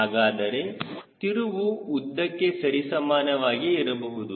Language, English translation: Kannada, so twist could be proportional to the length